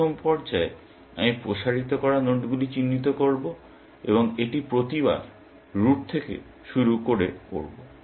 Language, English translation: Bengali, In the first stage, I will identify the nodes to be expanded, and that I will do by starting from the root every time